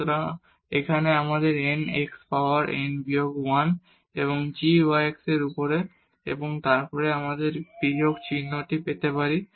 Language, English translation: Bengali, So, here we have n x power n minus 1 and g y over x and then here we can have this minus sign there